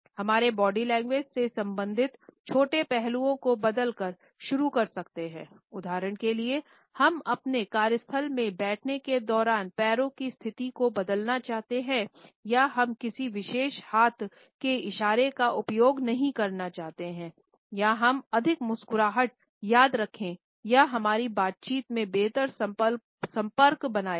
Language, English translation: Hindi, We can start by changing a smaller aspects related with our body language for example, we may want to change the position of legs well while we sit in our workplace or we want not to use a particular hand gesture or we may like to remember to have more smiles or maintain a better eye contact in our conversation